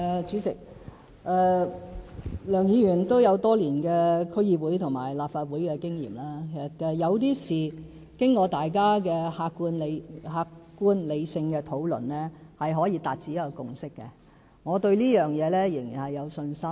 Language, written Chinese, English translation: Cantonese, 主席，梁議員有多年區議會和立法會經驗，有些事情經過大家的客觀理性討論，是可以達致共識的，我對這一點仍然有信心。, President as Mr LEUNG is a veteran District Council member and Legislative Council Member he should know that in some cases we can actually forge a consensus by means of objective and rational discussions . I still have confidence in that